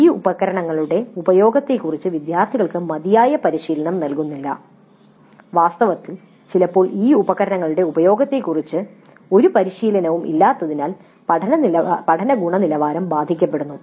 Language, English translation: Malayalam, Students are not given adequate training on the use of these tools and in fact sometimes no training at all on the use of these tools and the learning quality suffers because of this